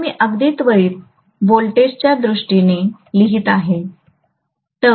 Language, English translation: Marathi, If I am writing in terms of even instantaneous voltages